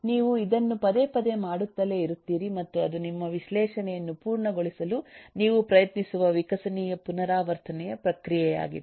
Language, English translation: Kannada, you keep on doing this repeatedly, and that’s the evolutionary, iterative process for which you try to perfect your analysis